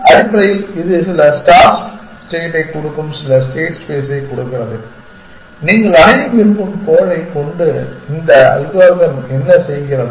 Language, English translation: Tamil, Essentially, that gives some state space given some start state, what is what this algorithm is doing with the goal that you want to achieve